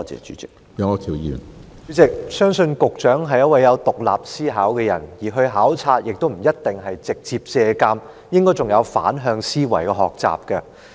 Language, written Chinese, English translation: Cantonese, 主席，我相信局長是有獨立思考的人，前往考察不一定是要直接借鑒，應該還可以有反向思維的學習。, President I believe the Secretary is a person with independent thinking and the purpose of the visits is not necessarily to make direct reference but is also to learn to think in reverse